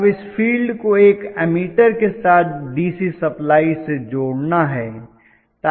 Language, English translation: Hindi, Now this field also has to be connected to a DC supply along with an ammeter